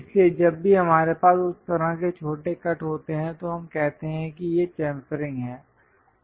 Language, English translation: Hindi, So, whenever we have that kind of small cuts, we call these are chamfering